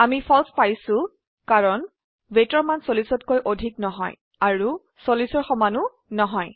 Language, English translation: Assamese, We get a false because the value of weight is not greater than 40 and also not equal to 40